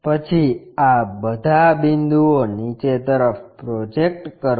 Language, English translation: Gujarati, Then, project all these points down